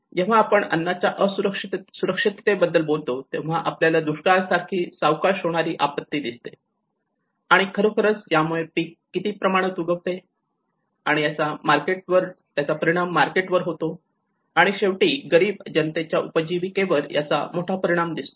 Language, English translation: Marathi, When we talk about the food insecurity, we see a slow phase disasters like the drought, you know how it can actually yield to the reduction of crops and how it will have an impact on the markets and how it turn impact on the livelihoods of the poor sector